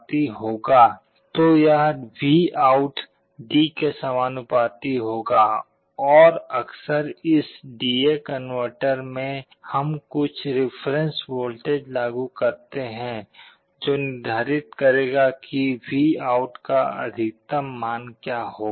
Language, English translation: Hindi, So, this VOUT will be proportional to D, and often in this D/A converter, we apply some reference voltage which will determine what will be the maximum value of VOUT